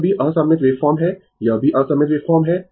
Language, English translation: Hindi, This is also ah unsymmetrical waveform this is also unsymmetrical waveform